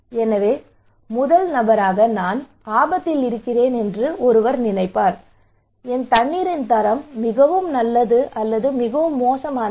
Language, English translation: Tamil, So the first person will think that am I at risk, is my water is quality is really good or bad